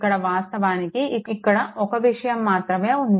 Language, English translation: Telugu, Here, actually only one thing is here